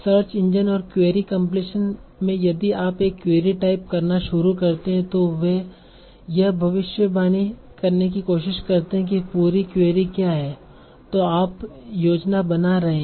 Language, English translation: Hindi, So if you type some word like, if you type a start typing a query, so they also try to predict what is the complete query that you are that you are planning